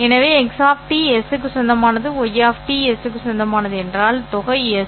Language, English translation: Tamil, So, if x of t belongs to s, y of t belongs to s, the sum will also belong to S